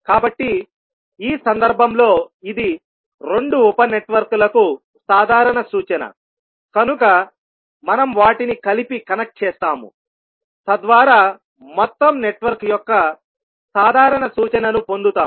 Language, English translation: Telugu, Now, in this case the circuit must have one common reference, so in this case this is the common reference for both sub networks, so we will connect them together so that we get the common reference of overall network